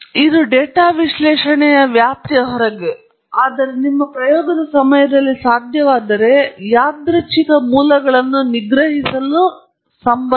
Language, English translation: Kannada, And, in general, if you have access to the experiment, this is, of course, outside the purview of data analysis, but it’s related to suppress the sources of randomness if possible during your experiment